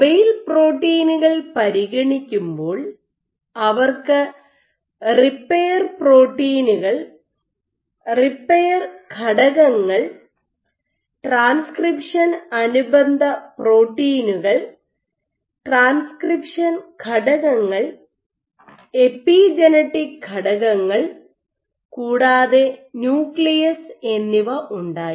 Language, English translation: Malayalam, So, when they consider the mobile proteins, they had repair proteins repair factors, transcription associated proteins transcription factors, and epigenetic factors as well as nucleus